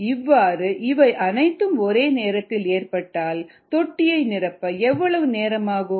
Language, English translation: Tamil, now the question is: how long would it take to fill a tank